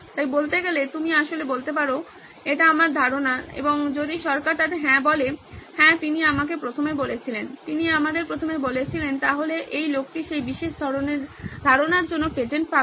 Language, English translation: Bengali, So to speak, you can actually say this is my idea and the government says yes, yes he told me first, he told us first so this guy gets the patent of that particular ideas